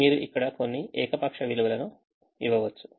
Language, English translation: Telugu, you can give some arbitrary values here